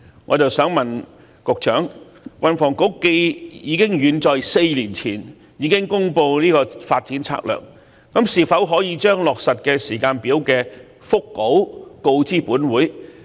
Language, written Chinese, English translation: Cantonese, 我想問局長，既然運房局早在4年前已公布《策略》，是否可將上述落實時間表的腹稿告知本會？, May I ask the Secretary given that the Transport and Housing Bureau already published the Strategy as early as four years ago can he present to this Council a draft implementation timetable of the projects?